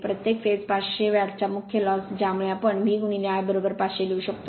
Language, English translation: Marathi, Core loss per phase 500 watt that therefore, core loss we can write V into I is equal to 500